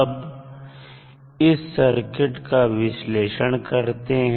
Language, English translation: Hindi, And find out the response of the circuit